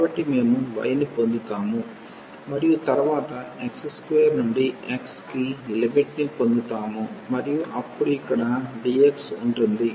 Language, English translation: Telugu, So, we will get y and then the limit x square to x and then we have here dx